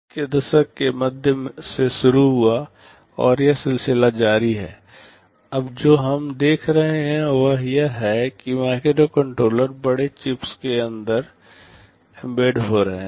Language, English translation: Hindi, Starting from mid 80’s and the process is continuing, what we see now is that microcontrollers are getting embedded inside larger chips